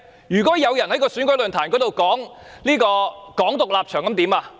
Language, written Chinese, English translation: Cantonese, 如果有人在選舉論壇上宣揚"港獨"立場怎麼辦？, What would happen if someone advocates Hong Kong independence at the election forum?